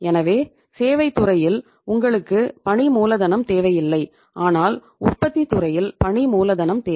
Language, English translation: Tamil, So in the services sector you do not need the working capital as such so we need the say working capital in the manufacturing sector right